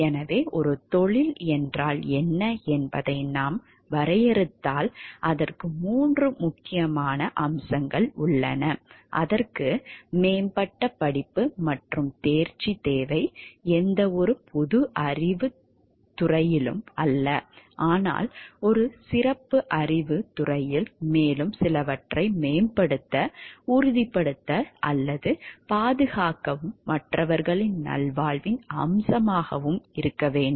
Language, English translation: Tamil, So, if we define what is a profession, it has three important aspects like, it requires advanced study and mastery not in any general field of knowledge, but in a specialized body of knowledge and also to undertake, to promote, ensure, or safeguard some aspect of others well being are the three important key points in defining what is a profession